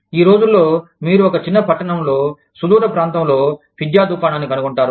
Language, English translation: Telugu, Nowadays, you will find a pizza shop, in a small town, in a far flung area